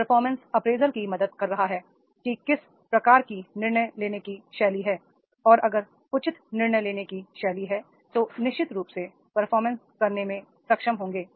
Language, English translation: Hindi, The performance appraisal is also helping that is what type of the decision making style is there and if the proper decision making style is there then definitely they will be able to perform